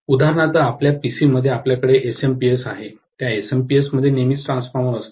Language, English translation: Marathi, For example, in your PC you have that SMPS, that SMPS will always have a transformer inside